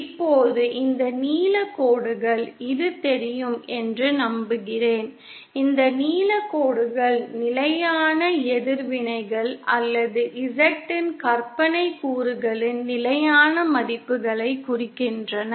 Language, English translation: Tamil, Now these blue lines, I hope itÕs visible, these blue lines represent a constant reactants or constant values of the imaginary component of Z